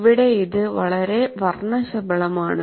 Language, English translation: Malayalam, Here, this looks very colorful